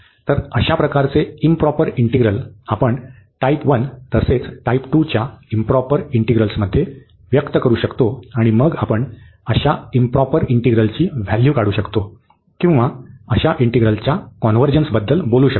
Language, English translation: Marathi, So, such improper integrals of we can express in terms improper integrals of the first and the second kind, and then we can basically evaluate such integrals or we can talk about the convergence of such integrals